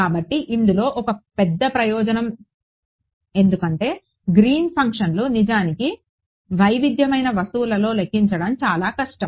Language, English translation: Telugu, So, this is one big advantage because green functions are actually very difficult to calculate in heterogeneous objects and so, on